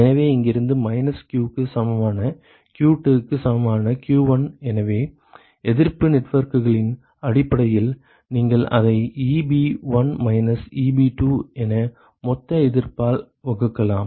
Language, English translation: Tamil, So, from here minus q equal to q2 equal to q1 so, based on resistance networks, you can simply write it as Eb1 minus Eb2 divided by the total resistance ok